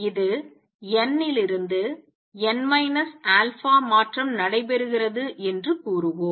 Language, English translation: Tamil, Let us say this is transition taking place from n n minus alpha